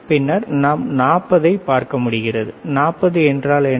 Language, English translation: Tamil, And then we start looking at 40 so, what is 40